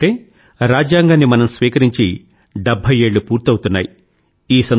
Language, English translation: Telugu, This year it is even more special as we are completing 70 years of the adoption of the constitution